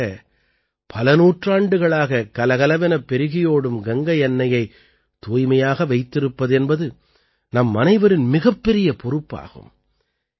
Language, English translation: Tamil, Amid that, it is a big responsibility of all of us to keep clean Mother Ganges that has been flowing for centuries